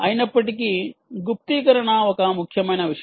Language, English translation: Telugu, nevertheless, encryption is an important thing